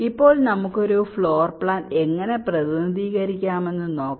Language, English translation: Malayalam, now let see how we can represent a floor plan